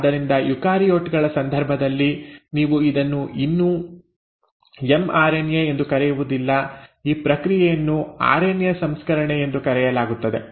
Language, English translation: Kannada, Now this process; so you still do not call this as an mRNA in case of eukaryotes; this process is called as RNA processing